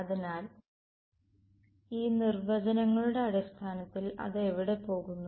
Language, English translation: Malayalam, So, in terms of this definitions over here where it go